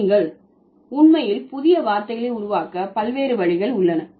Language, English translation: Tamil, So, these are the different ways by which you can actually create new words